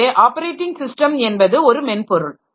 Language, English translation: Tamil, Then the operating system is structured